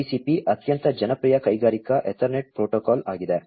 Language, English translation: Kannada, Modbus TCP is a very popular industrial Ethernet protocol